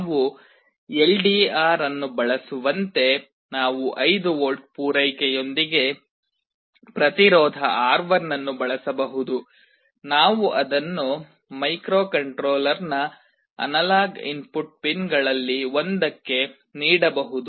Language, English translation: Kannada, Like we can use an LDR, we can use a resistance R1 with a 5V supply, we can feed it to one of the analog input pins of the microcontroller